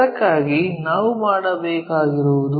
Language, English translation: Kannada, So, what we have to do is